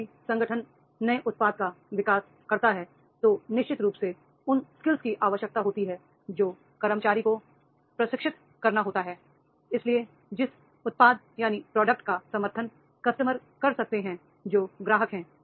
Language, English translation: Hindi, Whenever organization is developing the new product, then definitely those skills are required and then those skills are to be trained into the employees to those who can support to the product user